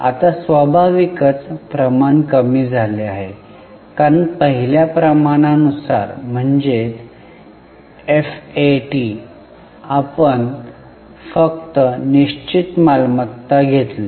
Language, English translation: Marathi, Now, naturally the ratio has gone down because in the first ratio that is FAT we had taken in the denominator only fixed assets